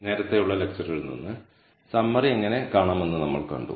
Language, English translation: Malayalam, Now, from the earlier lecture we saw how to look at the summary